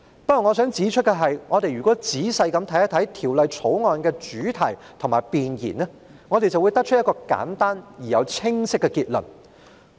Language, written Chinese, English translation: Cantonese, 不過，我想指出，如果我們仔細審閱《條例草案》的主題和弁言，便會得出一個簡單而又清晰的結論。, However I would like to point out that we can draw a simple and clear conclusion after reading the theme and preamble of the Bill carefully